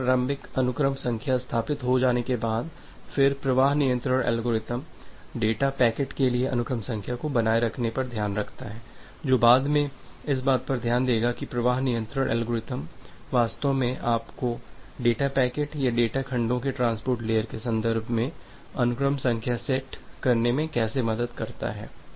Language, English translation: Hindi, Once this initial sequence number is established, then the flow control algorithm takes care of maintaining the sequence number for the data pack is that will look later on that how flow control algorithm actually helps you to set up the sequence number for the data packets or the data segments in the context of the transport layer